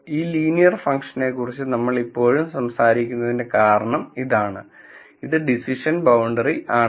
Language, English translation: Malayalam, The reason why we are still talking about this linear function is because, this is the decision boundary